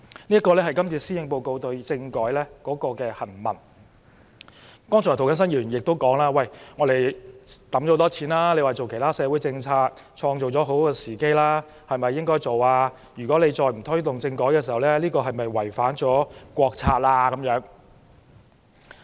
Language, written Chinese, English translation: Cantonese, 涂謹申議員剛才也表示，政府已投放大量資源推行其他社會政策，創造了很好的時機。如果政府再不推動政改，是否違反國策？, Just now Mr James TO also stated that the Government has put in huge resources to implement other social policies and has created a very good opportunity but if the Government does not implement political reform will it violate the national policy?